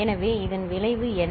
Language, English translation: Tamil, So, what is the result